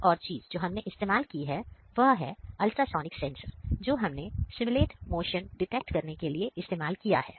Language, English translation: Hindi, So, ultrasonic sensor, we have used to simulate motion detection